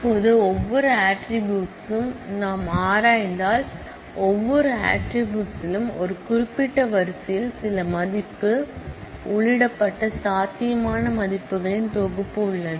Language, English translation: Tamil, Now, if we look into every attribute, then every attribute has a set of possible values of which some value is entered in a particular row